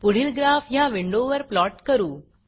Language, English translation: Marathi, The next graph will be plotted on this window